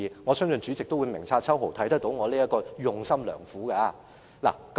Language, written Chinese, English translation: Cantonese, 我相信代理主席定必明察秋毫，看到我這用心良苦的做法。, I trust the Deputy Presidents discerning eyes would have noticed this intention of mine